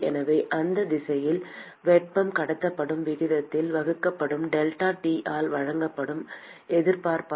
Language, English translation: Tamil, So, resistance offered is simply given by delta T divided by the rate at which heat is transported in that direction